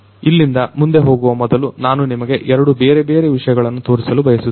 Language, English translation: Kannada, So, before I go any further I would like to show you two different things